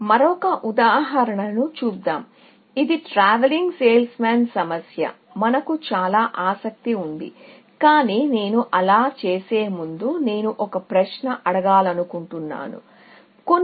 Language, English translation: Telugu, Let us look at another example, which is that traveling salesman problem, which we are so interested in, but before I do that, I want to ask a question, a few